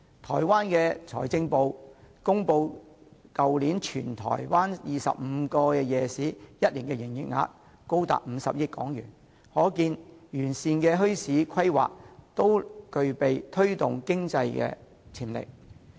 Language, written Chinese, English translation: Cantonese, 台灣財政部公布全台灣25個夜市去年全年的營業額高達50億港元，可見完善的墟市規劃具備推動經濟的潛力。, The Ministry of Finance of Taiwan announced that the annual turnover of the 25 night markets in Taiwan amounted to HK5 billion . This shows that proper bazaar planning can potentially promote economic development